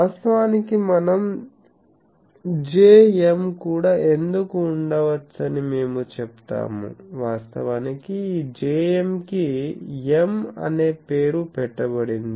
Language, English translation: Telugu, But we say that why there can be also the J m which actually we do not call J m we call M actually this Jm is given the name M